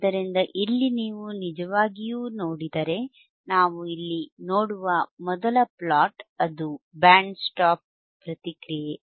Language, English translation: Kannada, So, here if you really see, the first one that is this particular plot wthat we see is here is the band stop response